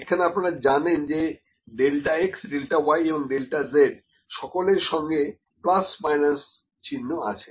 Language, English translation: Bengali, You know, there is a plus minus sign with delta x, with delta y and delta z